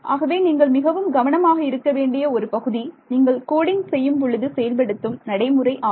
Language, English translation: Tamil, So, these are the things which you have to be very careful about when you code